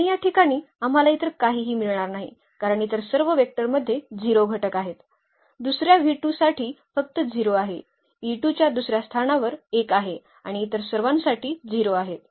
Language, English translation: Marathi, And no where else we will get anything at this place because all other vectors have 0 as first component; for the second v 2 only the e 2 has 1 at the second place all others are 0